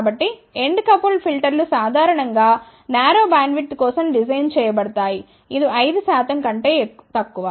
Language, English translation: Telugu, So, end coupled filters are generally designed for narrow bandwidth, which is less than 5 percent